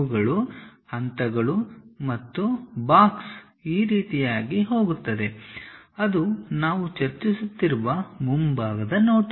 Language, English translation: Kannada, These are the steps and the box goes all the way in this way, that is the front view what we are discussing